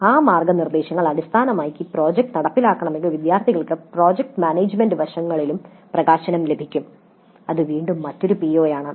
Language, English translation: Malayalam, What are guidelines that the institute has provided if the project is to be implemented based on those guidelines then the students will get exposure to project management aspects also, which is again another PO